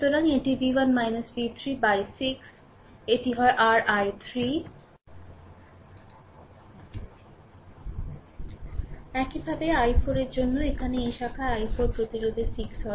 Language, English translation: Bengali, So, it is v 1 minus v 3 by 6 this is your i 3 similarly for i 4 I mean here in this branch i 4 the resistance is 6